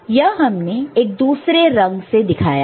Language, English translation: Hindi, So, this is in a different color